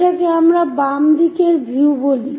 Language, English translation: Bengali, This is what we call left side view